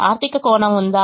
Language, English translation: Telugu, does it have a meaning